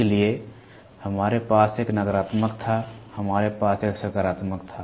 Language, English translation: Hindi, So, we had a negative, we had a positive